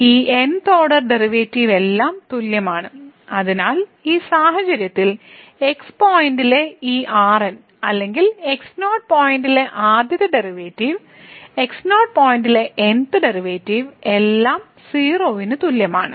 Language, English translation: Malayalam, So, all these th order derivative are equal, so in this case therefore this at point or the first derivative at point naught the th derivative at point naught all are equal to 0